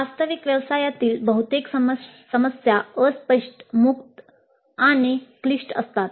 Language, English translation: Marathi, Most of the problems faced in the actual profession are fuzzy, open ended and complex